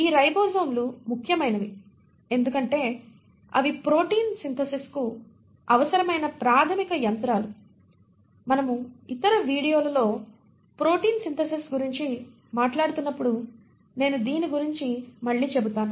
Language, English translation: Telugu, Now these ribosomes become important because they are the basic machinery which is required for protein synthesis and I will come back to this later in other videos when we are talking about protein synthesis